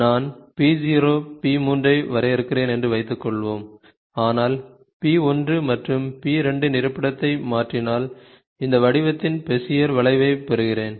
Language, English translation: Tamil, So, suppose I define p 0, p 3, but change the location of p 1 and p 2, then I get a Bezier curve of this shape